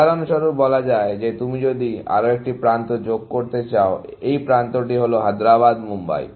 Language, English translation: Bengali, For example, in this problem, if you want to add one more edge, let us say, this edge; Hyderabad Mumbai